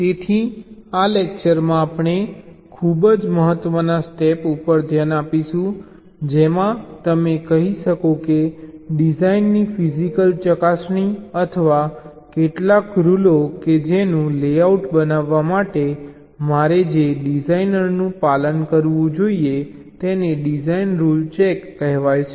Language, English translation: Gujarati, so in this lecture we shall be looking at ah, very importance step in, you can say physical verification of the design, or some rules which the design i should follow in creating the layout is something called design rule check